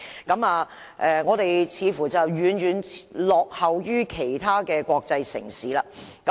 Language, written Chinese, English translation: Cantonese, 我們在這方面似乎遠遠落後於其他國際城市。, We seem to lag far behind other international cities in this regard